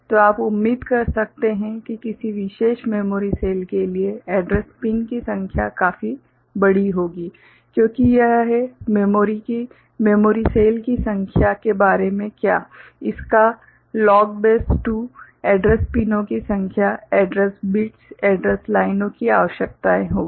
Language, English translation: Hindi, So, you can expect that for a particular memory cell; the number of address pins will be quite large, because it is what about the number of memory cell; log of that to the base 2 is the number of address pins address bits, address lines that would be required